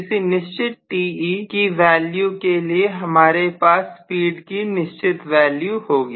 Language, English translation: Hindi, So that corresponds to certain value of Te and certain value of speed